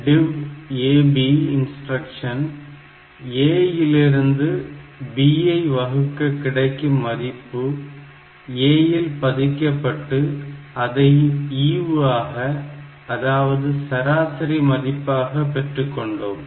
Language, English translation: Tamil, The DIV AB instruction; so, this will be having this a divided by B and then the value that I get in the A registered is the quotient that is the average value